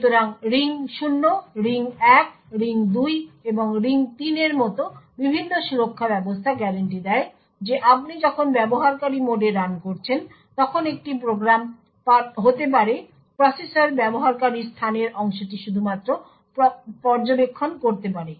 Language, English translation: Bengali, So, the various protection mechanisms like the ring 0, ring 1, ring 2 and ring 3 guarantee that when you are running in user mode a program can only observe the user space part of the process